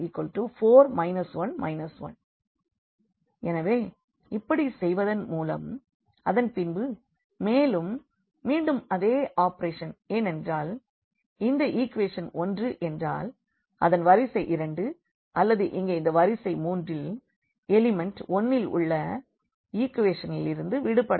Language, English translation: Tamil, So, by doing so we got this and then the further again the same operation because this equation I mean this row 2 or we want to get rid from equation from row 3 this element 1 here